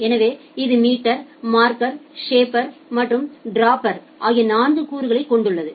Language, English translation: Tamil, So it has four components – meter, marker, shaper and dropper